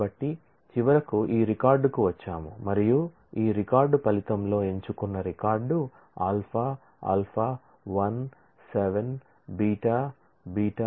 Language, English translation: Telugu, So, we finally, come to that this record and this record r the selected record in the result alpha 1 7 alpha 1 7 beta beta 23 10 beta beta 23 10